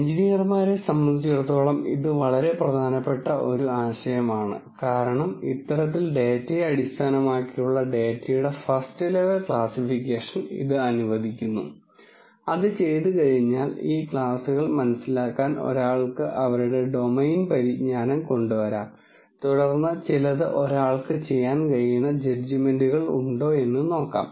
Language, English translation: Malayalam, This is a very important idea for engineers because this kind of allows a first level categorization of data just purely based on data and then once that is done then one could bring in their domain knowledge to understand these classes and then see whether there are some judgments that one could make